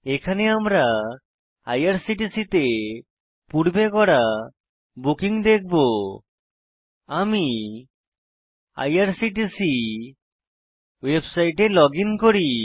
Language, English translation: Bengali, We will now see the pass bookings at IRCTC, let me login to irctc website